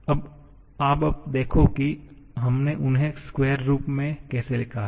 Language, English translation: Hindi, Just see how we have written them in a square form